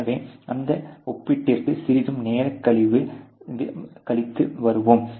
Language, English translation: Tamil, So, will come to that comparison a little bit later